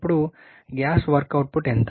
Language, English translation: Telugu, Now, how much is the gross work output